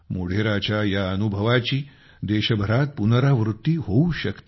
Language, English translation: Marathi, Modhera's experience can be replicated across the country